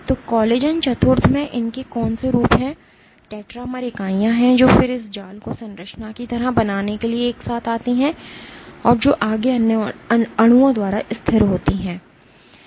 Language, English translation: Hindi, So, what collagen IV consists of it forms is tetramer units which then come together to form this mesh like structure which is further stabilized by other molecules inside